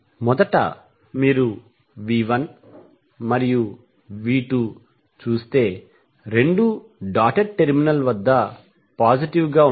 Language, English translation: Telugu, So in first, if you see V 1 and V 2 both are positive at the dotted terminal